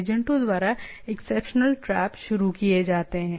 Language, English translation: Hindi, Exception traps are initiated by agents